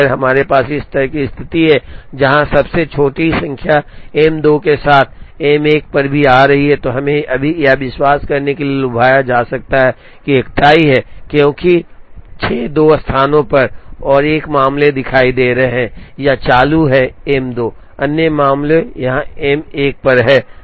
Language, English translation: Hindi, So, when we have a situation like this, where the smallest number is coming on M 2 as well as M 1, we may be tempted to believe right now that there is a tie, because 6 is appearing in 2 places and 1 case, it is on M 2, other case it is on M 1